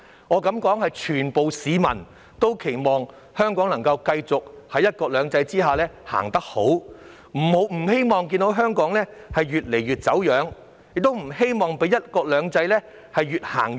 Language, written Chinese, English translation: Cantonese, 我敢說全部市民都期望香港能夠繼續在"一國兩制"下前行，不希望看到香港越來越走樣，亦不希望與"一國兩制"越行越遠。, I dare say all members of the public wish to see Hong Kong continue to move forward under one country two systems . No one wants to see Hong Kong become increasingly deformed and drift farther and farther away from one country two systems